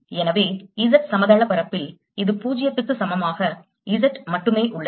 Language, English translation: Tamil, so in the z plane its confined to z, equal to zero